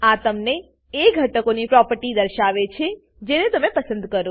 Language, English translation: Gujarati, This shows you the properties of the components as you choose them